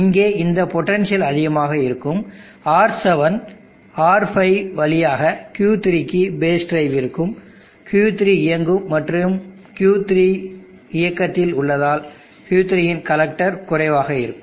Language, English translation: Tamil, This potential here will be high, there will be base drive through R7, R5 into Q3, Q3 will be on and the collector of Q3 will be low, because Q3 is on